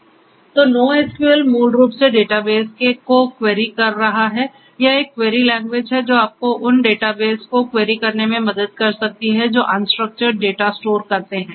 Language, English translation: Hindi, So, NoSQL is basically querying the databases you know this is a query language which can help you in querying databases which store unstructured data